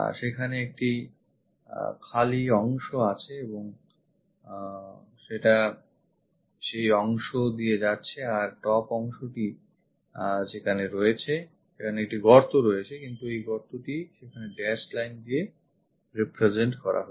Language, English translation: Bengali, There is a empty portion and this one goes via that portion and top one comes there; there is a hole there, but this hole represented by dashed line there